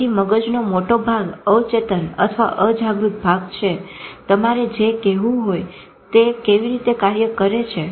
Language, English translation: Gujarati, So large part of the mind is subconscious or unconscious or whatever you want to call it